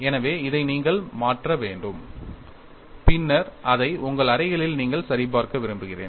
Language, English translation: Tamil, So, this you will have to substitute it and then I would like you to verify it in your rooms